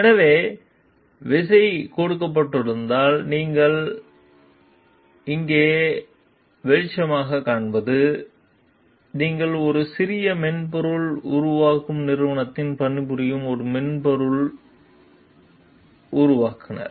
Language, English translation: Tamil, So, what you find over here light as the key is given, you are a lead software developer working for a small software developing company